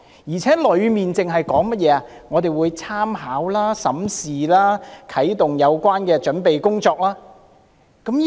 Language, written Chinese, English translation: Cantonese, 而且，有關內容只提到政府會參考、審視、啟動有關的準備工作。, Besides as stated in the relevant part the Government will merely consider review and commence the relevant preparation work